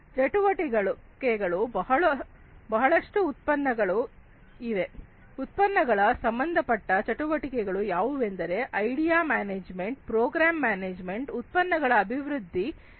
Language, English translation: Kannada, Activities, there are many products product associated activities such as idea management, program management, new product development, and so on